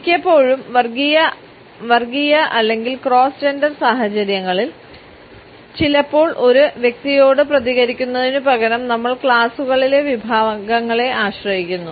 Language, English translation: Malayalam, And often in interracial or cross gender situations sometimes we may tend to rely upon categories in classes instead of responding to an individual